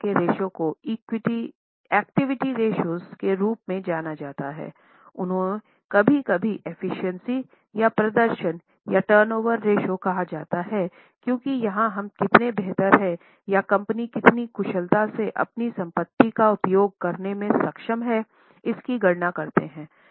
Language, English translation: Hindi, They are sometimes also called as efficiency or performance or turnover ratios because here we calculate how better or how efficiently the company is able to utilize their assets